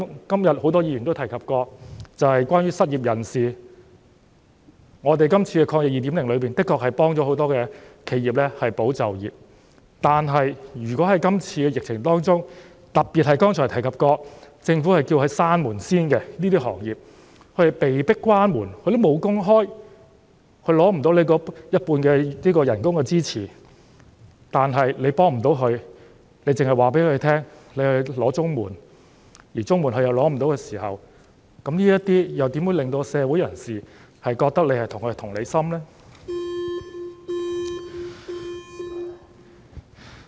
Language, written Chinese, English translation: Cantonese, 今天很多議員也提及失業人士，我們今次的"防疫抗疫基金 2.0" 的確能夠幫助很多企業和保住員工的就業，但如果在今次疫情中，特別是剛才提及政府要求他們先暫停營業的行業，他們被迫關門，根本無工開，無法申請員工工資一半的資助，但政府又不能向他們提供協助，只是叫他們申請綜合社會保障援助，而如果他們無法申請綜援的時候，又如何能夠令社會人士覺得政府對他們有同理心呢？, This AEF 2.0 can indeed help many enterprises and keep workers in employment . But for some industries affected by this epidemic especially those told by the Government to shut down temporarily which I mentioned earlier if they are forced to shut down meaning that their workers have to stop working they will not be able to apply for subsidies to meet 50 % of their workers wages . If the Government provides no assistance to them but only tells them to apply for the Comprehensive Social Security Assistance CSSA and if they are ineligible for CSSA how can members of the community feel that the Government empathized with them?